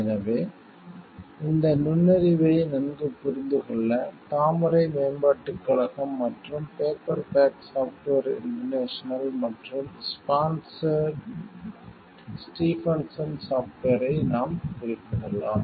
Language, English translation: Tamil, So, for better understanding of this insight, we can refer to the case of lotus development corporation versus paperback software international and Stephenson software